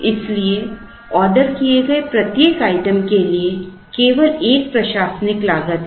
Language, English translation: Hindi, So, there is only an admin cost for every item that is ordered